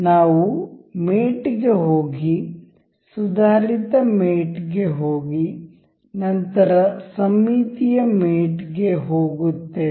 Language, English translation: Kannada, We will go to mate and we will go to advanced mate, then symmetric